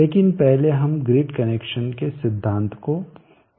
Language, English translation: Hindi, But first let us look at thee principle of grid connection